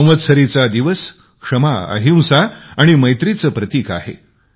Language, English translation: Marathi, The festival of Samvatsari is symbolic of forgiveness, nonviolence and brotherhood